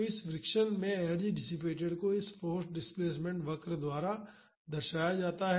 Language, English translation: Hindi, So, the energy dissipated in this friction is represented by this force displacement curve